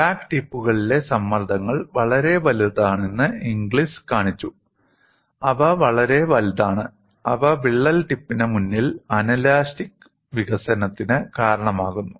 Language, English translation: Malayalam, Inglis showed that the stresses at the crack tips are quite large; so large that they cause anelastic deformation in front of the crack tip